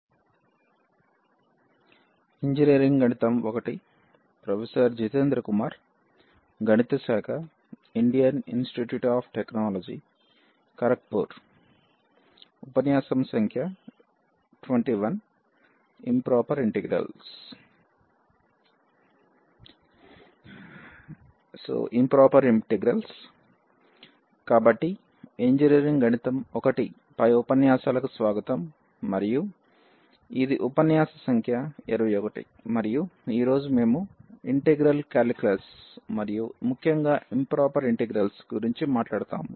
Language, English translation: Telugu, So, welcome to the lectures on Engineering Mathematics – I and this is lecture number 21 and today, we will talk about the integral calculus and in particular Improper Integrals